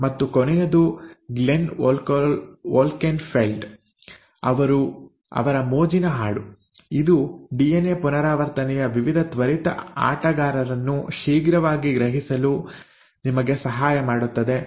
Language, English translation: Kannada, And the last is a fun rap song again by Glenn Wolkenfeld which will just help you kind of quickly grasp the various quick players of DNA replication